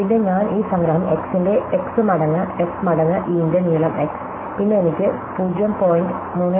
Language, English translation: Malayalam, Then if I do this summation over x of f of x times the length of E of x, then I have 0